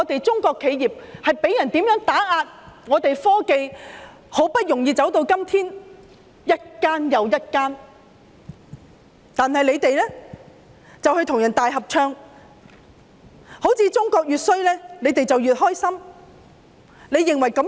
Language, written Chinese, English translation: Cantonese, 中國企業被人打壓，我們的科技發展很不容易才走到今天，如今卻一間又一間面對打壓，而他們卻與外人大合唱，好像中國越差，他們便越高興。, Chinese enterprises are being suppressed . Our achievement in technological development nowadays has not come by easily but now one after another these enterprises are subjected to suppression . Yet they sing in chorus with outsiders as if the deterioration in China will make them happier